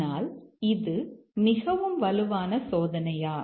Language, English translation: Tamil, But is it the strongest testing